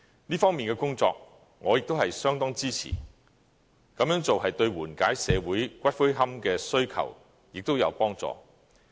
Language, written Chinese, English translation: Cantonese, 這方面的工作，我亦相當支持，這樣做對緩解社會骨灰龕的需求也有幫助。, I greatly support the work in this regard which is conducive to alleviating the demand for niches